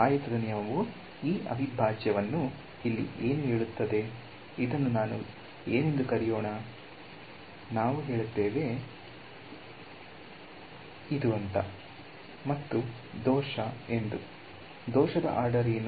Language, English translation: Kannada, Rectangle rule will tell me that this integral over here, let us call this I; we will say I is equal to h of f naught and plus the error; what is the order of the error